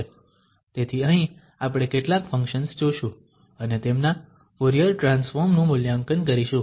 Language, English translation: Gujarati, So here, we will consider several functions and evaluate their Fourier Transform